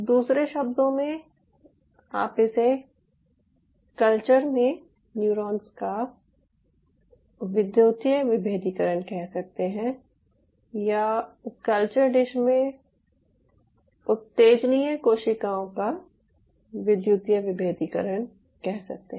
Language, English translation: Hindi, in other word, you can term it as electrical differentiation of neurons in a culture or any other excitable cell as electrical differentiation of excitable cells in a culture dish